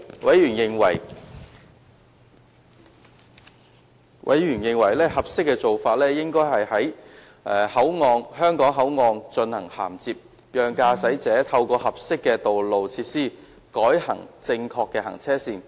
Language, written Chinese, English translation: Cantonese, 委員認為合適的做法是在香港口岸進行銜接，讓駕駛者透過合適的道路設施改行正確的行車線。, They consider it appropriate to arrange for the interface of driving arrangements at the Hong Kong Boundary Crossing Facilities HKBCF so that with suitable road facilities motorists will be diverted to the correct lanes